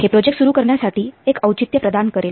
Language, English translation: Marathi, It will provide a justification for starting of the project